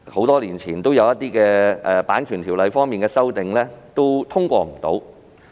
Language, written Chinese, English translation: Cantonese, 多年前，《版權條例》的一些修訂未能通過。, Many years ago certain amendments to the Copyright Ordinance had failed to get through